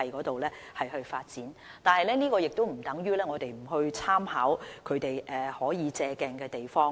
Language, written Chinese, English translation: Cantonese, 但是，這亦不等於我們不參考內地可借鏡的地方。, Still this does not mean that we should not learn from the experience of the Mainland